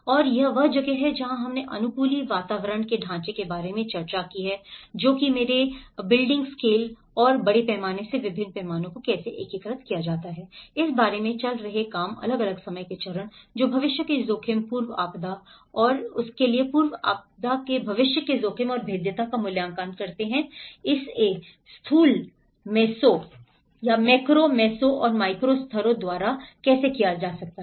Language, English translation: Hindi, And this is where, we discussed about the frameworks of adaptive built environment which my ongoing work about how to integrate different scales from a larger scale to a building scale and also different time phases, which is the pre disaster to the future risk, the post disaster and the future risk and how the vulnerability assessment, how it can be carried by macro, meso and the micro levels